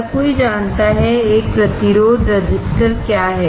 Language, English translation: Hindi, Everyone knows what a resistor is